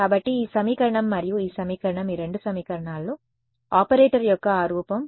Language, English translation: Telugu, So, this equation and this equation both of these equations, that form of the operator is the same right